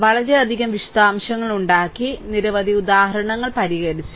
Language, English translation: Malayalam, So, hope detail have been made, so many examples have been solved